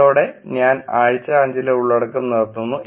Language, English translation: Malayalam, With that I will stop the content for week 5